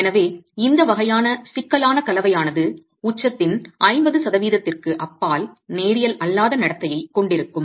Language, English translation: Tamil, So, this sort of a complex composite is actually going to have nonlinear behavior beyond 50% of the peak